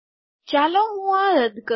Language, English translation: Gujarati, Let me delete this